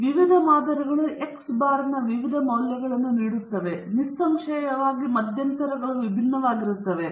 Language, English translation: Kannada, Different samples will give different values of x bar, and obviously, the intervals also will be different